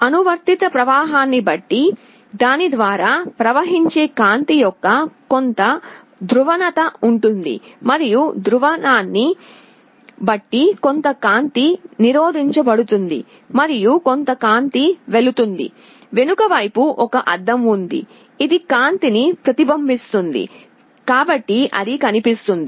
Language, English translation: Telugu, Depending on the applied current, there will be some polarization of the light that will be flowing through it and depending on the polarization some light will be blocked and some light will pass through; there is a mirror in the backside, which reflects the light so that it is visible